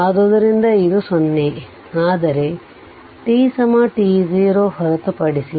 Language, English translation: Kannada, So, it is 0, but except at t is equal to t 0